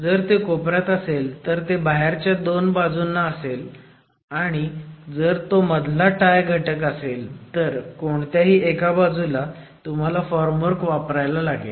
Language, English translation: Marathi, As you see in this picture, if it is a corner, then it will be two outer edges and if it is a central tie element, then on either sides of the wall you would be providing the formwork element itself